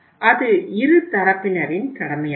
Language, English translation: Tamil, It is the duty of both the sides